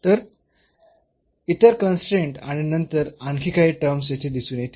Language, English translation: Marathi, So, at another constraint will appear here and then some more terms there